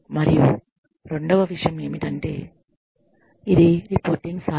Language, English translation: Telugu, And, the second thing is that, it is a reporting tool